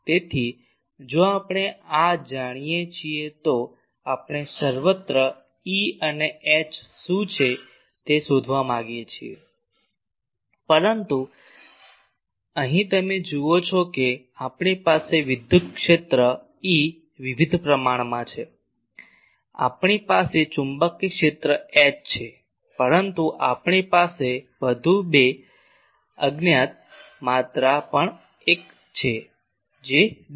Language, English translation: Gujarati, So, if we know this we want to find what is E and H everywhere, but here you see there are various quantities we have the electric field E, we have the magnetic field H, but we also have two more unknown quantities one is D, another we have B